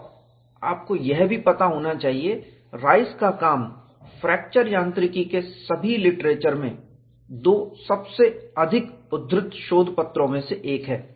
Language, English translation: Hindi, And, you should also know, Rice's work is one of the two most quoted papers, in all of the fracture mechanics literature